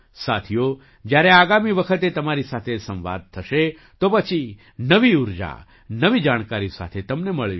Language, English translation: Gujarati, Friends, the next time I converse with you, I will meet you with new energy and new information